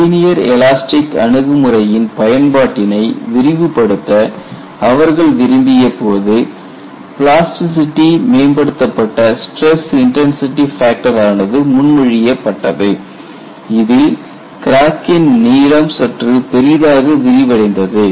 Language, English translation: Tamil, When they wanted to broaden the applicability of the linear elastic approach proposed a plasticity enhanced stress intensity factor in which the crack lengths were slightly enlarged suitably